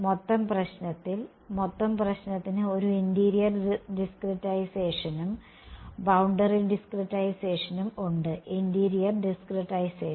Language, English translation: Malayalam, In the total problem, the total problem has a interior discretization as well as boundary discretization; interior discretization